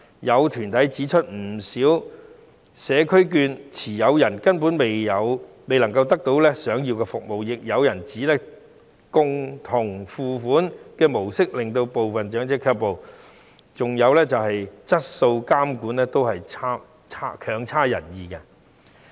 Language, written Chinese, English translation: Cantonese, 有團體指出，不少社區券持有人根本未能得到想要的服務，亦有人指共同付款的模式會令部分長者卻步，再加上計劃的質素監管亦都差強人意。, Some organizations point out that not a few CCS voucher holders basically cannot receive the services that they ask for . Some people also say that the co - payment model will deter the elderly from using the vouchers and the quality supervision of the Scheme is also far from satisfactory